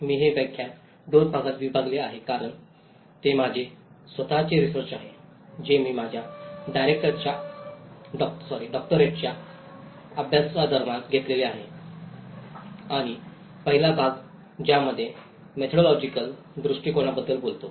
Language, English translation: Marathi, I have divided this lecture in two parts because it is my own research, which I have conducted during my Doctoral studies and the first part which talks about the methodological approach